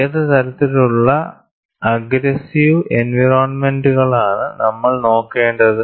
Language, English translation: Malayalam, What kind of aggressive environments that we have to look at